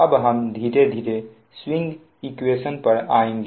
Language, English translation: Hindi, now will come to your slowly and slowly will come to this swing equation